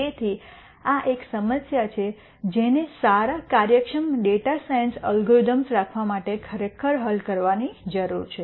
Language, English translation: Gujarati, So, this is one problem that needs to be solved really to have good efficient data science algorithms